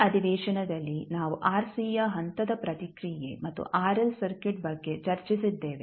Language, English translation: Kannada, In this session we discussed about the step response of RC as well as RL circuit